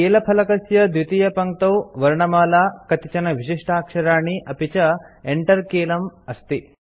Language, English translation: Sanskrit, The second line of the keyboard comprises alphabets few special characters, and the Enter key